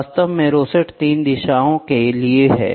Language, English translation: Hindi, In fact, rosette is for 3 directions, right